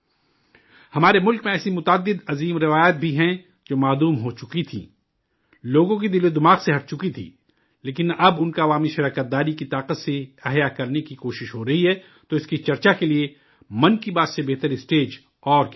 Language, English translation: Urdu, There are many such great traditions in our country which had disappeared, had been removed from the minds and hearts of the people, but now efforts are being made to revive them with the power of public participation, so for discussing that… What better platform than 'Mann Ki Baat'